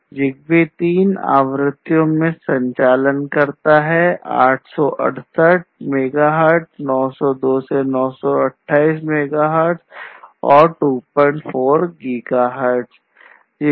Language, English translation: Hindi, So, it operates, ZigBee operates in three frequencies 868 megahertz, 902 to 928 megahertz and 2